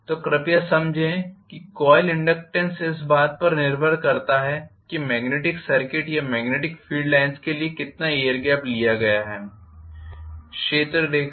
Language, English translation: Hindi, So please understand that the coil inductance depends upon how much is the air gap that is visualized for a magnetic circuits or magnetic field line